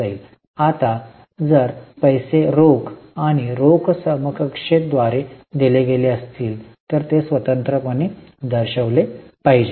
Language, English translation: Marathi, Now if the payment is made by means of cash and cash equivalent that should be separately shown